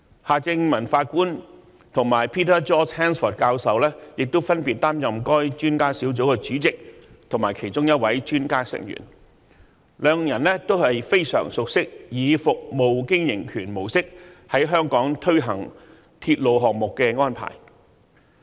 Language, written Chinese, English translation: Cantonese, 夏正民法官及 Peter George HANSFORD 教授亦分別擔任該專家小組的主席及其中一位專家成員，兩人都非常熟悉以服務經營權模式在香港推行鐵路項目的安排。, Mr Justice Michael John HARTMANN was the Chairman and Prof HANSFORD was one of the experts on the Panel . Both are thus very familiar with the implementation of railway projects in Hong Kong under the concession approach